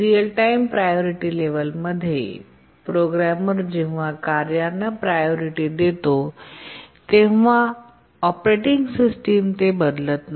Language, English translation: Marathi, What we mean by real time priority levels is that once the programmer assigns priority to the tasks, the operating system does not change it